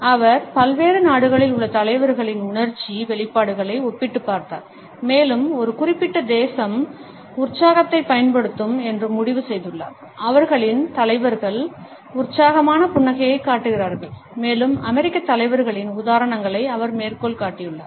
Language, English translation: Tamil, She had compared the emotional expressions of leaders across different nations and has concluded that the more a particular nation will use excitement, the more their leaders show excited smiles and she has quoted the examples of the American leaders